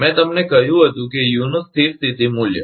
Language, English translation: Gujarati, I told you that steady state value of U